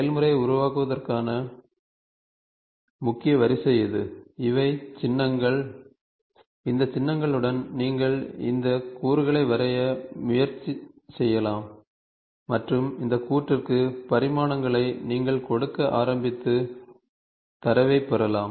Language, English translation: Tamil, This is the key sequence to generate the process, these are the symbols, with these symbols you can try to draw this component and this component you can start feeding the dimensions and get the data